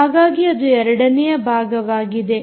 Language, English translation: Kannada, so this is first part